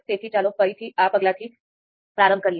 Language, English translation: Gujarati, So, let’s start from this step again